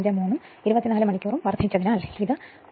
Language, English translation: Malayalam, 153 and 24 hours multiplied, it will be 3